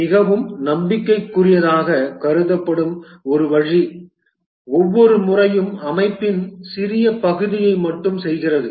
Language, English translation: Tamil, One way that has been considered very promising is that each time do only small part of the system